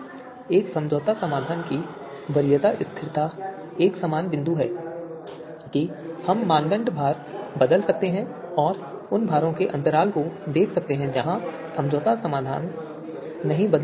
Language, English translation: Hindi, Preference stability of an obtained compromise solution so similar point that we can change the criteria weights and look at the you know you know interval for you know those weights where the compromise solution is not going to be changed